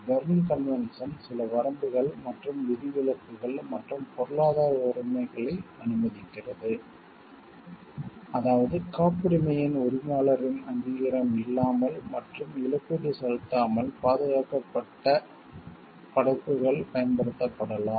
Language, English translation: Tamil, The Berne convention allows certain limitations and exceptions and economic rights, that is cases in which protection works may be used without the authorization of the owner of the copyright, and without payment of compensation